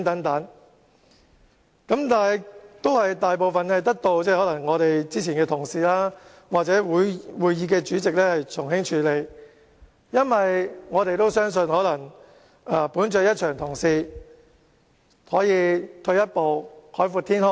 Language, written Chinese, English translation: Cantonese, 但是，大部分行為都得到之前的議員或會議的主席從輕處理，因為我們相信基於大家一場同事，退一步海闊天空。, Nevertheless most of such behaviour was handled with leniency by Members or the person chairing the meeting because we believed that being colleagues if we took a step backward we would have much greater leeway